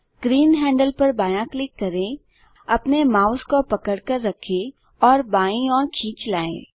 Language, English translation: Hindi, Left click green handle, hold and drag your mouse to the right